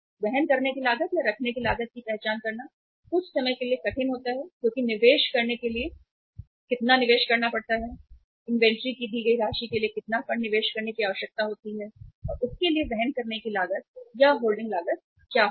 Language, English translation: Hindi, It is sometime difficult to identify the carrying cost or holding cost that how much investment is required to be made, how much funds are required to be invested in say a given amount of inventory and what will be the carrying cost or holding cost for that